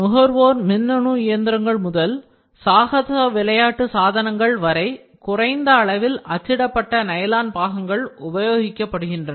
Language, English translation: Tamil, Now low run and smooth finish nylon parts are used in everything from consumer electronics to adventure sports, so this is also one of the material